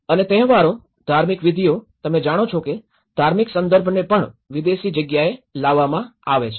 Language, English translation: Gujarati, And even the festivals, the rituals, you know the religious belonging is also brought in a foreign place